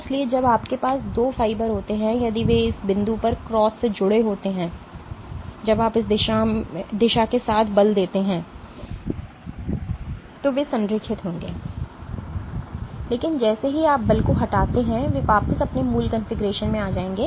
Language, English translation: Hindi, So, when you have two fibers if they are cross linked at this point when you tend to force along this direction they will align, but as soon as you remove the force they will come back to its original configuration